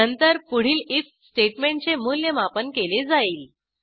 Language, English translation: Marathi, Then the next if statement will be evaluated